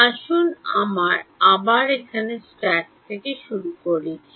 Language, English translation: Bengali, Let us start from scratch over here once again